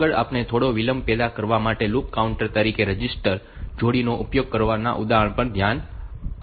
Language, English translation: Gujarati, Next, we will look into an example of using registered pair as loop counter for generating some delay